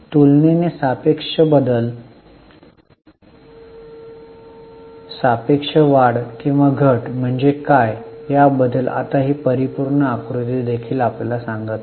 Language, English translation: Marathi, Now even this absolute figure doesn't tell you about what is relatively relative change, relative increase or decrease